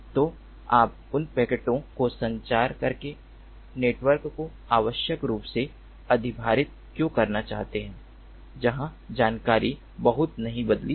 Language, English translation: Hindi, so why do you want to unnecessarily overload the network by communicating those packets where the information has not changed much